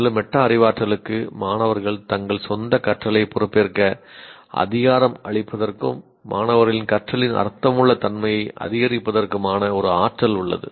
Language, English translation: Tamil, And metacognition has a potential to empower students to take charge of their own learning and to increase the meaningfulness of students learning